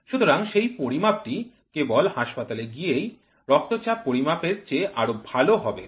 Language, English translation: Bengali, So then, that measurement is more appropriate than just walking down to the hospital and taking the blood pressure